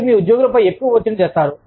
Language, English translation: Telugu, You put, too much stress, on your employees